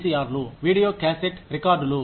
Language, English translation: Telugu, s, Video Cassette Recorders